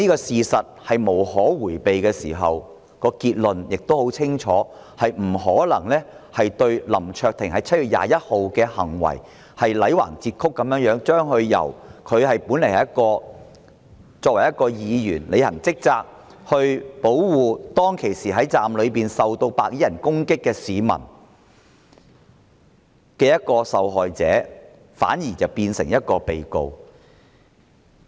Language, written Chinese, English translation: Cantonese, 事實無可迴避的時候，結論亦十分清楚，便是不可能基於林卓廷議員在7月21日的行為，強行將一名履行職責的議員，一名當時保護站內市民免受白衣人攻擊的受害者變成被告。, When avoidance of the facts are not possible the conclusion is very clear that is we cannot based on the behaviour of Mr LAM Cheuk - ting on 21 July forcibly turn a Member performing his duties to protect people inside the station from attacks by the white - clad people from a victim to a defendant